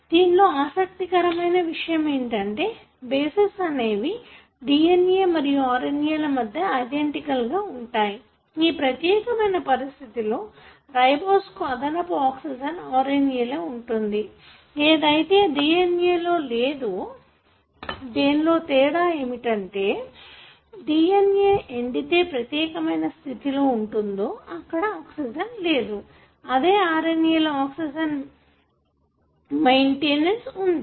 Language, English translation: Telugu, What is also interesting is that the bases are pretty much identical between RNA and DNA, except that, in this particular position the ribose has an additional, oxygen in RNA, while it is absent in DNA, therefore DNA is called as a deoxy and that distinguishes the DNA and RNA